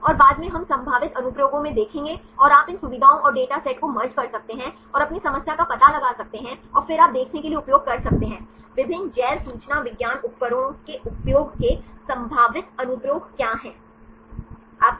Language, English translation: Hindi, And later on we will see in the potential applications and you can merge these features and the data set and find your problem and then you can use to see; what are the potential applications of using different Bioinformatics tools